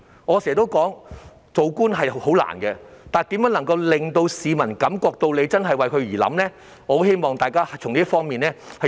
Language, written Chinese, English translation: Cantonese, 我經常說，做官是很難的，但如何能令市民感到政府真的有為他們着想呢？, While I often say that it is difficult to be an official how can the Government make people feel that it is indeed thinking of them?